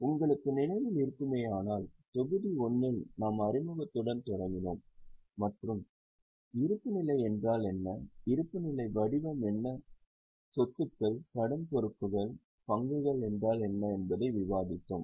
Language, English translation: Tamil, In module 1 if you remember we started with introduction then we discussed what is balance sheet, what is the format of balance sheet, what are the assets, liabilities, equity